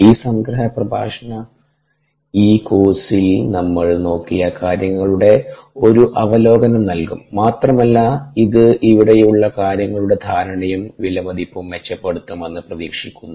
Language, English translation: Malayalam, this summery lecture would ah provide an overview of ah the things that ah we looked at in this course and hopefully it will improve the ah understanding and appreciation of the material here